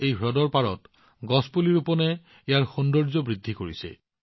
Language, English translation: Assamese, The tree plantation on the shoreline of the lake is enhancing its beauty